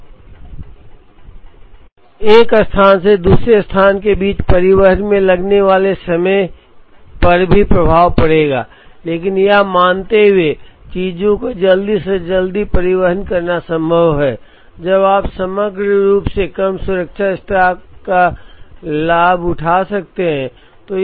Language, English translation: Hindi, Of course, the time taken to transport between one place to another would also have an impact, but assuming that it is possible to transport things quickly, one can gain the advantage of a lesser safety stock when you aggregate